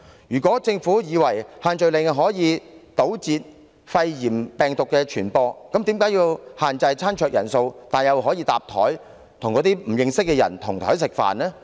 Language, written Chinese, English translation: Cantonese, 如果政府認為限聚令可堵截肺炎病毒的傳播，那麼為何要限制餐桌人數，但又容許共用餐桌，讓市民跟不認識的人同桌吃飯？, If the Government considers the restrictions effective in curbing the spread of the pneumonia virus why should table - sharing be allowed when a restriction is imposed on the number of people permitted at each dining table where people unknown to each other can sit at the same table to have meals?